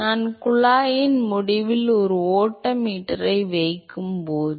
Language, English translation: Tamil, So, when I put a flow meter at the end of the pipe